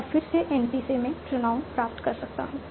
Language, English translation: Hindi, Now again from n p I can get pronoun pronoun